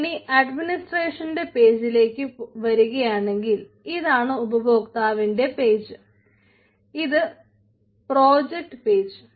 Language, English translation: Malayalam, so now, if you come to the administration page, so this was the user page, ah, as of the project page, ah